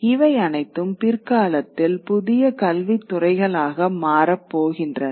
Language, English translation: Tamil, And all these are going to branch out to become new academic disciplines in later times